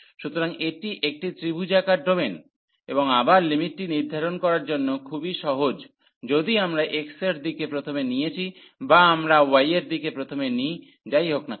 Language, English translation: Bengali, So, this is a triangular domain and again very simple to evaluate the limits whether we take first in the direction of x or we take first in the direction of y